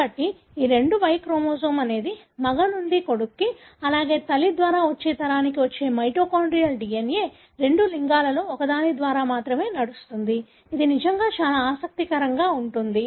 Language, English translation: Telugu, So, these two, that the Y chromosome which is transmitted by male to son, likewise the mitochondrial DNA transmitted by mother to next generation which only runs through one of the two sex is really, really very interesting